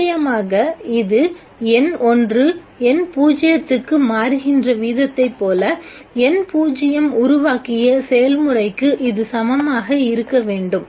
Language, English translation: Tamil, Of course this should be equal to the process with which the n 0 is created which is the same as the rate at which n1 is getting converted into n 0